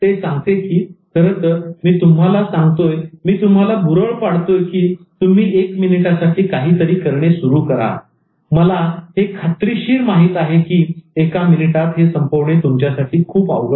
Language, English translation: Marathi, He says that once like actually I'm saying I'm tempting you to start something for one minute, but I know for sure that it's very difficult for you to end it in one minute